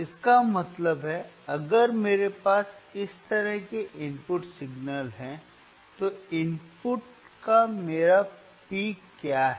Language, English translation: Hindi, tThat means, if I have input signal right like this, what is my in peak of the input